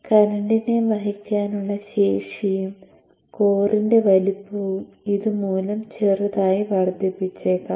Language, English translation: Malayalam, So the current carrying capability and the size of the core may slightly increase because of this